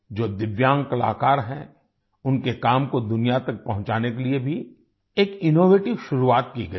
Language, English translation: Hindi, An innovative beginning has also been made to take the work of Divyang artists to the world